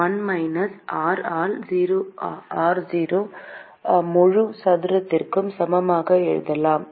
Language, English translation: Tamil, equal to 1 minus r by r0 the whole square